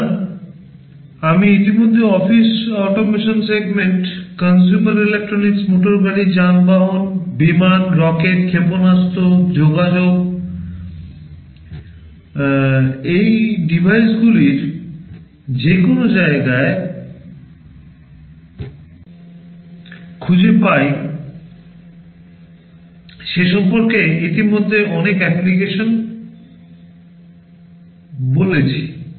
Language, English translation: Bengali, So, there are many applications I already talked about in office automation segment, consumer electronics, automotive, vehicles, airplanes, rockets missiles, communication you will find these devices everywhere